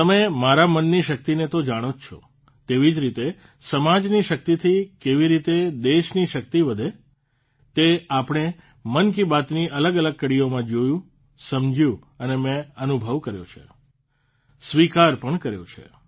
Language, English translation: Gujarati, You know the power of your mind… Similarly, how the might of the country increases with the strength of the society…this we have seen and understood in different episodes of 'Mann Ki Baat'